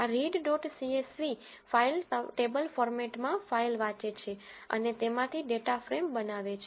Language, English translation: Gujarati, This read dot csv file reads a file in a table format and creates a data frame from it